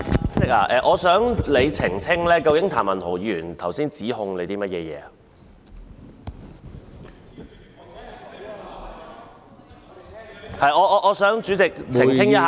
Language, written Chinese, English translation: Cantonese, 主席，我想你澄清譚文豪議員剛才向你作出了甚麼指控。, President would you please clarify what Mr Jeremy TAMs accusation against you was?